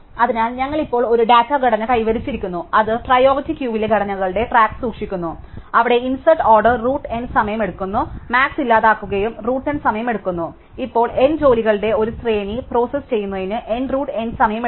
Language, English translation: Malayalam, So, we have now achieved a data structure, which keeps track of elements in a priority queue where insert takes order root N time, delete max takes order root N time, and therefore, now processing a sequence of N jobs takes N root N time